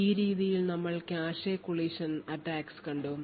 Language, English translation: Malayalam, So, in this way we had looked at cache collision attacks